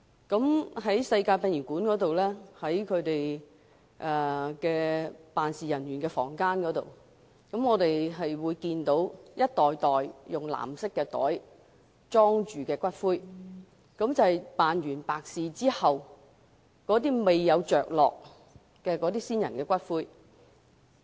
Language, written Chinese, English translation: Cantonese, 我在世界殯儀館的辦事處，看到一袋袋以藍色袋盛載的骨灰。這些都是辦完白事後，未有位置安放的先人骨灰。, At the office of the Universal Funeral Parlour I have seen some blue bags containing ashes of the deceased which cannot be interred after the funeral due to the lack of niches